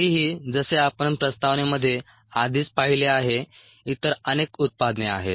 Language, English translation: Marathi, however, as we have already seen in the introduction, there are very many other products